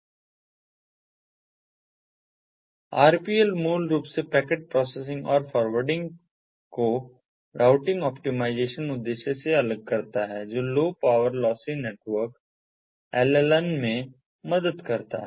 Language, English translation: Hindi, the rpl basically separates the packet processing and forwarding from the routing optimization objective, which helps in low power lossy networks, the llns